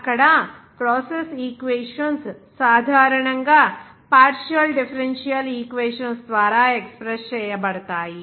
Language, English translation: Telugu, There, process equations are generally expressed by partial differential equations